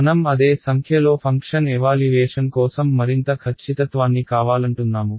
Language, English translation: Telugu, We want more accuracy for the same number of function evaluations